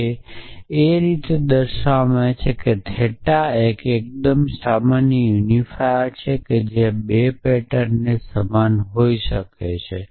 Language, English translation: Gujarati, And what it returns is the theta which is the most general unifier which can may the 2 patterns same